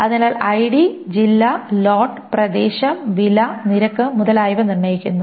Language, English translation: Malayalam, So ID determines this district, lot, area and price and rate